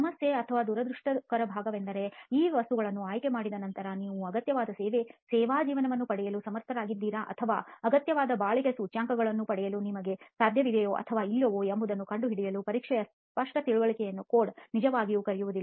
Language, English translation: Kannada, The problem unfortunate part is the code really does not call upon a clear understanding of the test to be performed to ascertain whether after choosing these materials are you able to get the required service life or are you able to get the required durability indices or parameters which are present in the concrete, okay